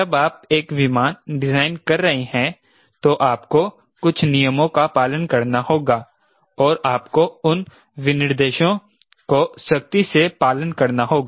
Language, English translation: Hindi, when you are designing a an aircraft, you have to follow some regulations and you have to follow strictly those as specifications